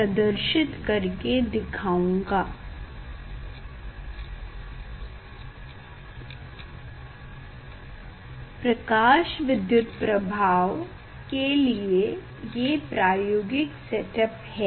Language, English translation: Hindi, this is the experimental setup for photoelectric effect